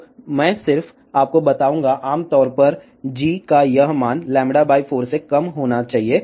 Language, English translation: Hindi, So, I will just tell you, generally speaking this value of g should be less than lambda by 4